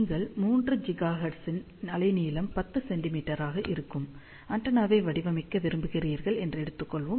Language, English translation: Tamil, So, let us say you want to design antenna, let say at 3 gigahertz of wavelength will be 10 centimeter